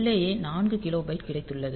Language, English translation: Tamil, So, you have got 4 kilobyte of ROM